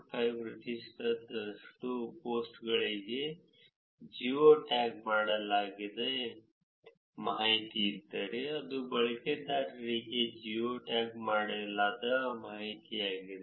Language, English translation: Kannada, 5 percent of the total posts that were collected where there is geo tagged information for the post which is geo tagged information for the users also